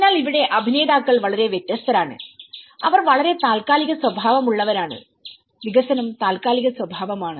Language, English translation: Malayalam, So here, the actors are very different and they are very much the temporal in nature the development is temporary in nature